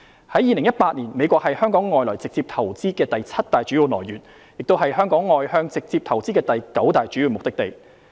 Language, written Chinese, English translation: Cantonese, 在2018年，美國是香港外來直接投資的第七大主要來源，亦是香港外向直接投資的第九大主要目的地。, In 2018 the United States was the seventh major source of inward direct investment into Hong Kong and the ninth major destination of outward direct investment from Hong Kong